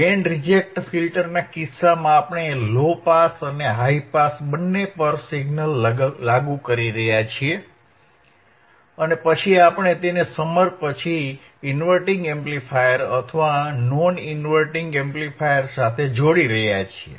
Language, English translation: Gujarati, In case of the band reject filter, we are applying signal to low pass and high pass, both, right and then we are connecting it to the inverting amplifier or non inverting amplifier followed by a summer